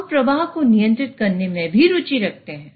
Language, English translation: Hindi, So, we might be interested in controlling the flow as well